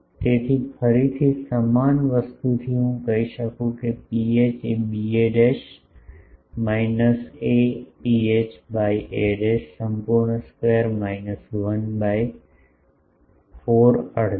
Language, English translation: Gujarati, So, again from the similar thing I can say P h will b a dashed minus a rho h by a dashed whole square minus 1 by 4 half